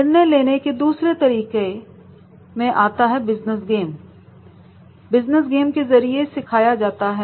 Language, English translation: Hindi, Second method in decision making is that we teach that is through business games